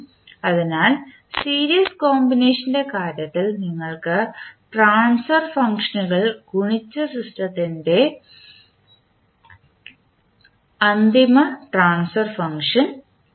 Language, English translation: Malayalam, So in case of series combination you can multiply the transfer functions and get the final transfer function of the system